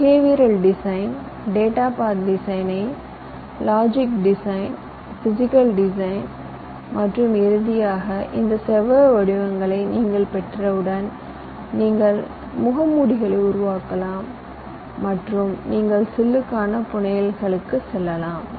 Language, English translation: Tamil, i have already mentioned them: behavior design, data path design, logic design, physical design and finally, once you have those rectangular shapes, you can create the masks and you can go for fabrication of the chip